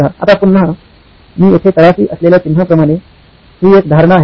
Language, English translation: Marathi, Now again, this as I have marked at the bottom here is an assumption